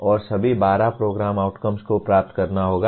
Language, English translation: Hindi, And all the 12 program outcomes have to be attained